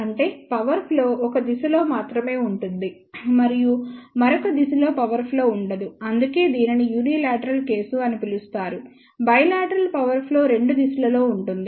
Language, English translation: Telugu, That means, power flow is only in one direction and in the other direction there is a no power flow that is why it is known as unilateral case, in case of bilateral power flow will be in both the direction